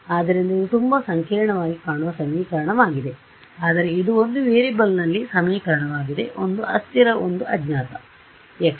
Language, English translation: Kannada, So, this is a very complicated looking equation, but it is an equation in one variable; one unknown not one variable one unknown x